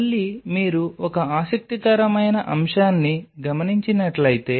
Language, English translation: Telugu, So, again if you noticed one interesting aspect